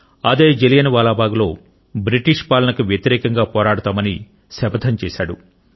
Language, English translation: Telugu, At Jallianwala Bagh, he took a vow to fight the British rule